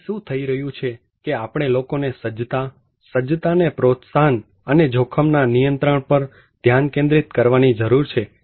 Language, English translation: Gujarati, So, what is happening is that we need to focus on preparedness, to promote preparedness and risk governance to the people